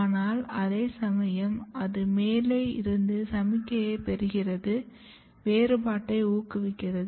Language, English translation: Tamil, But at the same time it is getting signal; it is getting signal from the top which is to promote the differentiation